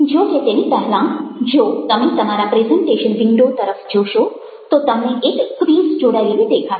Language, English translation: Gujarati, however, ah prior to that, if you look down your presentation ah window, you will find that a quiz would be attached